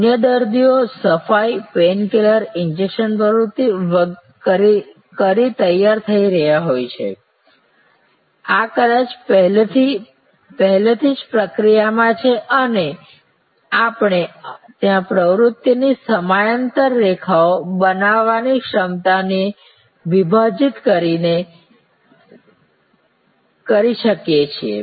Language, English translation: Gujarati, Other patients are getting ready, they are cleaning activities, they are pain killer injection activity, these are may be already in the process and we can there by splitting the capacity creating parallel lines of activity